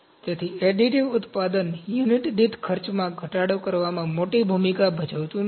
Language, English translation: Gujarati, So, additive manufacturing does not play a great role in reducing the cost per unit